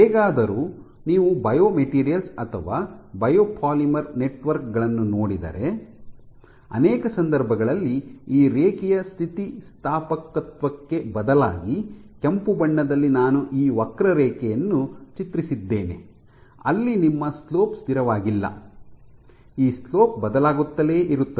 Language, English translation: Kannada, However, if you look at biomaterials or biopolymer networks in many cases instead of this linear elasticity, stress versus strain is straight line; that means E is constant right